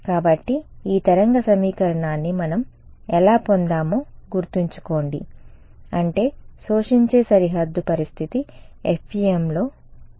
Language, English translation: Telugu, So, remember how we have derived the this wave equation I mean the absorbing boundary condition is in FEM